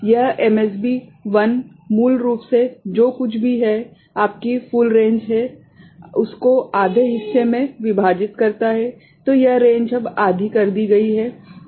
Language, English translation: Hindi, So, this MSB 1 is basically whatever is the full range your dividing into half right, the range is now made half